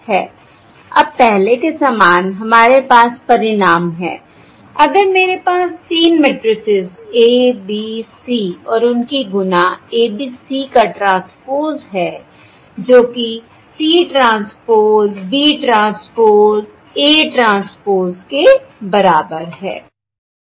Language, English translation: Hindi, Now, similar to previously, we have the result: if I have three matrices, A, B, C and the product transpose, that is equal to C, transpose, B, transpose times A, transpose